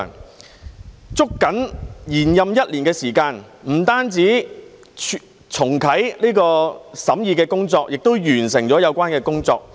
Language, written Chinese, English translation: Cantonese, 議員捉緊延任一年的時間，不單重啟審議工作，也完成了有關工作。, Losing no time in the one - year extension of the term Members have not only restarted the scrutiny but also completed the work